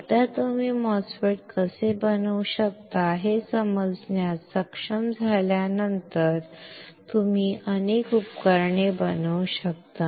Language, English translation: Marathi, Once you are able to understand how you can fabricate a MOSFET, then you can fabricate lot of devices